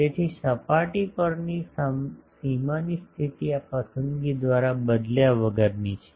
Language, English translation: Gujarati, So, the boundary condition on the surface is unaltered by this choice